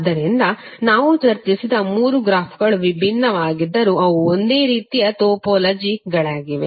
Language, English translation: Kannada, So although the three graphs which we discussed are different but they are actually the identical topologies